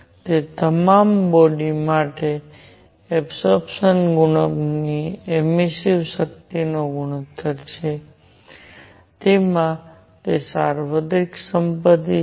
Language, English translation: Gujarati, It is ratio of emissive power to absorption coefficient for all bodies, it has that universal property